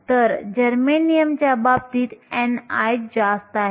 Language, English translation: Marathi, So, n i is higher in the case of germanium